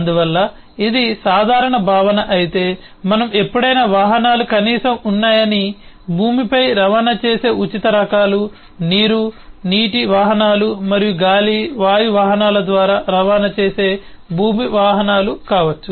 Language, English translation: Telugu, therefore, if this is the general concept, then we can always say that vehicles at least are of, can be of free types: that which transports on land, the land, vehicles which transports over water, water vehicles and which transports through air, air vehicles